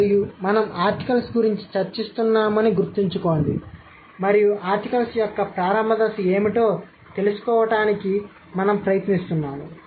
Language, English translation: Telugu, And remember we are discussing articles and we are trying to find out what could have been the initial stage of the article, right